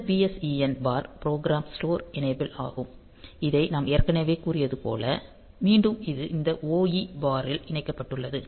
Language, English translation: Tamil, And this PSEN bar is the program store enable, so again this we have already said, this connected to this OE bar